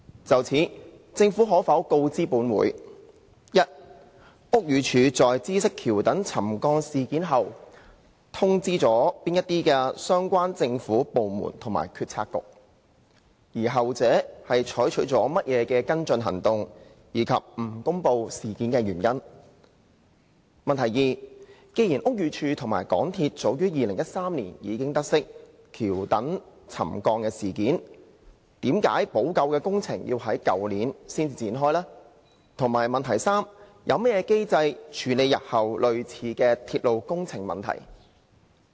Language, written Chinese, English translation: Cantonese, 就此，政府可否告知本會：一屋宇署在知悉橋躉沉降事件後通知了哪些相關政府部門及決策局；後者採取了甚麼跟進行動，以及不公布事件的原因；二既然屋宇署及港鐵早在2013年已得悉橋躉沉降事件，為何補救工程在去年才展開；及三有何機制處理日後類似的鐵路工程問題？, In this connection will the Government inform this Council 1 of the relevant government departments and policy bureaux which BD had informed after learning of the incident of the subsidence of the viaduct piers; the follow - up actions taken by such departments and bureaux and the reasons for not making public the incident; 2 given that BD and MTRCL had learnt of the incident of the subsidence of the viaduct piers as early as in 2013 why the remedial works did not commence until last year; and 3 of the mechanism in place for dealing with similar railway works problems in future?